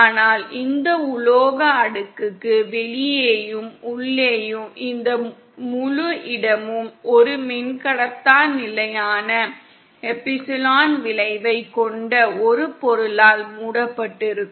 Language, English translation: Tamil, But sorry, but this entire space outside and inside of this metal layer is covered with a material having a dielectric constant epsilon effective